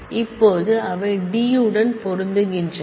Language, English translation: Tamil, Now, they match on b they match on D